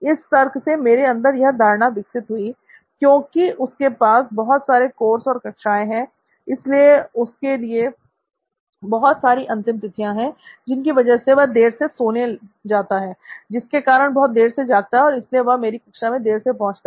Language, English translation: Hindi, You can see the rationale lead me to belief that since he has signed up for too many classes, courses and hence he has too many deadlines and hence he is late to bed and hence late to wake up and hence he is also late to my class